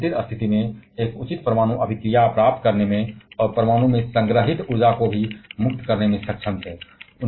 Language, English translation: Hindi, And were able to achieve a proper nuclear reaction under controlled condition and also liberate the energy that is stored in the atom